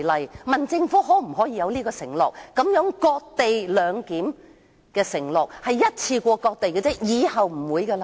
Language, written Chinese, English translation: Cantonese, 我問政府可否作出承諾，表明這種"割地兩檢"只做一次，以後不會再有。, I asked the Government if it would promise to make this cession - based co - location arrangement a one - off exercise